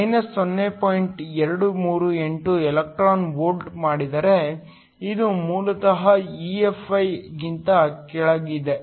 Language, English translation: Kannada, 238 electron volts, this is basically below EFi